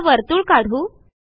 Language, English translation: Marathi, Lets draw a circle